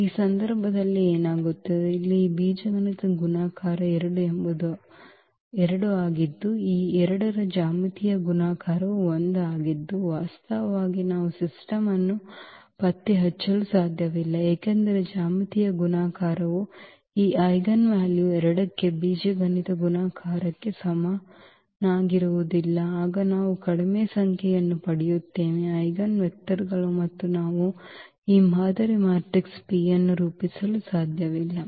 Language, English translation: Kannada, What happens in this case that here this algebraic multiplicity of 2 is 2 and it comes to be that the geometric multiplicity of this 2 is 1 and that is the point where actually we cannot diagnolize the system because geometric multiplicity is not equal to the algebraic multiplicity for this eigenvalue 2 then we will get less number of eigenvectors and we cannot form this model matrix P